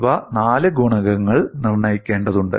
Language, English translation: Malayalam, In these, 4 coefficients need to be determined